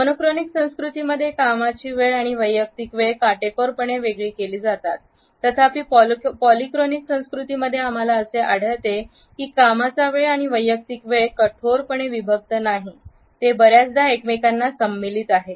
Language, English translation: Marathi, Work time and personal times are strictly separated in monochronic cultures; however, in polychronic cultures we find that the work time and personal time are not strictly separated they often include in to each other